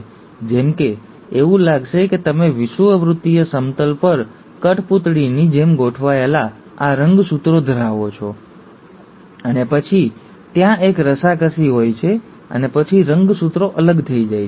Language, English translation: Gujarati, Like it will like you have these chromosomes arranged like puppets on the equatorial plane, and then there is a tug of war, and then the chromosomes get separated